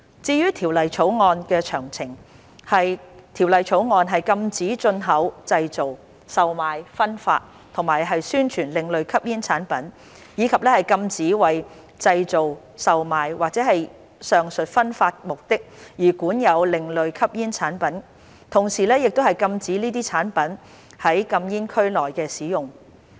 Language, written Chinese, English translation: Cantonese, 至於《條例草案》的詳情，《條例草案》禁止進口、製造、售賣、分發和宣傳另類吸煙產品，以及禁止為製造、售賣或上述分發的目的而管有另類吸煙產品，同時亦禁止這些產品在禁煙區內的使用。, As regards the details of the Bill it bans the import manufacture sale distribution and advertisement of ASPs . Possession for the purpose of manufacture sale or the said distribution shall also be prohibited . At the same time the use of these products in no smoking areas is also prohibited